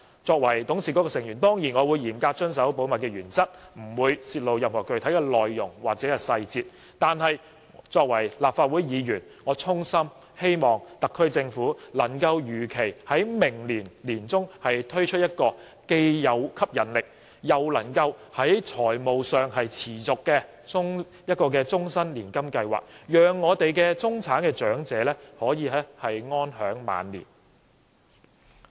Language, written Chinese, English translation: Cantonese, 作為董事局成員，我當然會嚴格遵守保密原則，不會泄露任何具體內容或細節，但作為立法會議員，我衷心希望特區政府能夠如期在明年年中推出這個既有吸引力，又能在財務上持續的終身年金計劃，讓中產長者可以安享晚年。, As a member of the Board I will certainly abide strictly by the confidentiality principle and will not disclose any specific contents or details . But as a Legislative Council Member I sincerely hope that the SAR Government will be able to launch in the middle of next year this attractive and financially sustainable lifelong annuity scheme so that middle - class elderly people can enjoy their twilight years